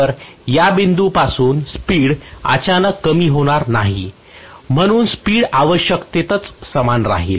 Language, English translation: Marathi, So from this point the speed would not decrease abruptly so the speed will essentially remain almost the same